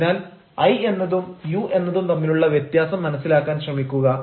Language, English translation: Malayalam, so try to understand the difference between i and you